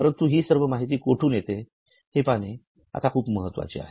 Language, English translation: Marathi, But right now it is very important for you to know where from you get all this information